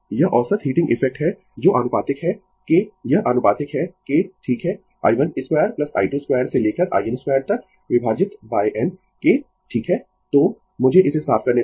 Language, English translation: Hindi, This is the average heating effect which is proportional to this is proportional to right i 1 square plus i 2 square up to i n square divided by n right so, let me clear it